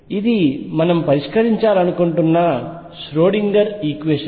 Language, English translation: Telugu, This is a Schrödinger equation that we want to solve